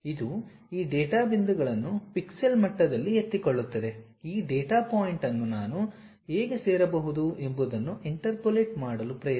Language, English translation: Kannada, It picks these data points at pixel level, try to interpolate how I can really join this data point that data point